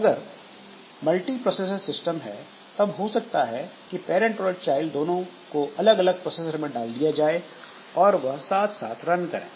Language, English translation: Hindi, If you have a multiprocessor system, then maybe this parent and child they are put onto two different processors and they run simultaneously